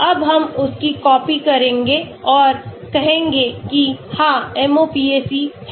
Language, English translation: Hindi, Now we will copy that and say convert, yeah MOPAC is there